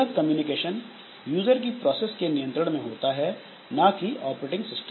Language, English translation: Hindi, The communication is under the control of the users processes, not the operating system